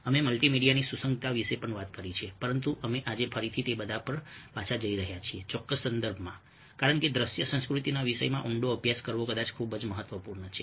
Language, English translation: Gujarati, we have talked about, ah the relevance of multimedia as well, but we are going back to all that again today, in this particular context, because it is perhaps very, very important to delve deep into the subject of visual culture